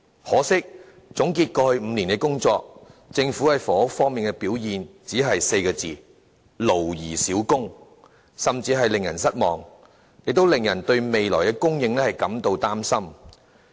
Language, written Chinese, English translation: Cantonese, 可惜，總結政府過去5年的工作，其在房屋事務方面的表現，只能說是"勞而少功"，甚至是令人失望，亦令人對未來房屋的供應感到擔心。, To sum up its work done in the past five years however its performance in housing is quite disappointing as the tremendous efforts made were barely fruitful . People just cannot help worrying about future housing supply